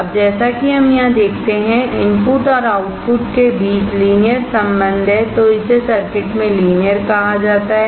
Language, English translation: Hindi, Now as we see here, the relation between the input and output of a circuit is linear, it is called the linear in circuit